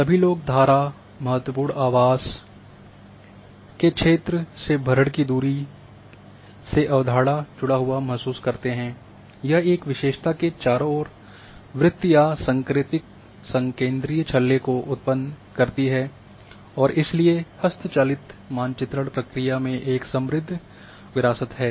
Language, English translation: Hindi, Everyone relates to the concept of within the in the fill distance of a stream neighbourhood a critical habitat area or a concept invokes a circle or concentric ring around a feature and has a rich heritage in manual map processing